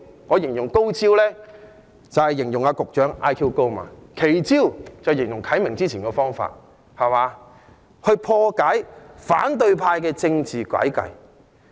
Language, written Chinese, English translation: Cantonese, 我說高招，是指局長 IQ 高，奇招是指何啟明議員早前提出的方法，用以破解反對派的政治詭計。, When I said brilliant measure I was complimenting the Secretary on his high intelligence quotient and when I said extraordinary measure I referred to the measure proposed by Mr HO Kai - ming to debunk the evil political tricks of the opposition camp